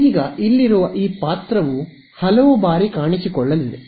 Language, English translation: Kannada, Now, this character over here is going to appear many times